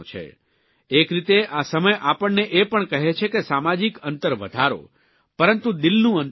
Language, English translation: Gujarati, In a way, this time teaches us to reduce emotional distance and increase social distance